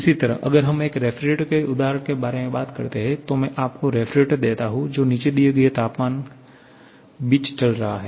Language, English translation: Hindi, Similarly, if we talk about the example of a refrigerator, so I give you refrigerator which is operating between the temperatures